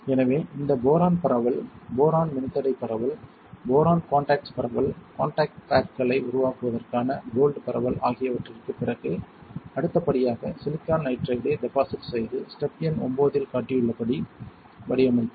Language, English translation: Tamil, So, after then after this boron diffusion, boron resistor diffusion, boron contact diffusion, gold diffusion for creating contact pads the next step would be to deposit silicon nitride and pattern it as shown in step number 9 alright here